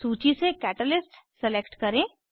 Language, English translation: Hindi, Select Catalyst from the list